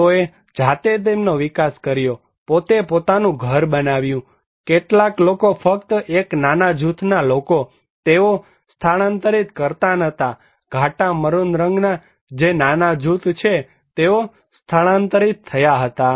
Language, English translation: Gujarati, They developed their; build their own house in their own, some people only a minor group of people, they did not relocate it, only a minor group in dark maroon, they were relocated